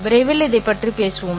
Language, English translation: Tamil, We will talk about it shortly